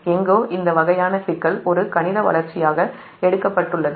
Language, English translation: Tamil, we will find this kind of problem has been taken as an mathematical development